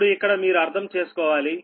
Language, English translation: Telugu, little bit you have to understand here